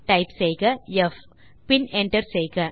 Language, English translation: Tamil, So type f and hit Enter